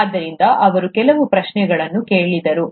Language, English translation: Kannada, So he asked a few questions